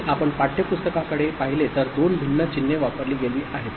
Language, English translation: Marathi, And if you look at the textbook, two different symbols have been used